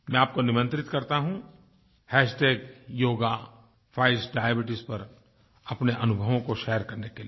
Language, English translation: Hindi, I invite you to share your experiences on "Hashtag Yoga Fights Diabetes"